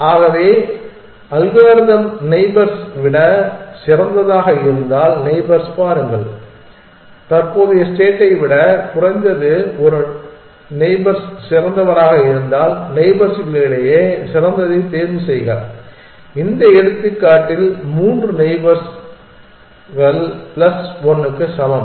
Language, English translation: Tamil, So, the algorithm says look at the neighbors if one of the neighbors is better than if at least one neighbor is better than the current state then choose a best among the neighbors, in this example three neighbors are equal to plus 1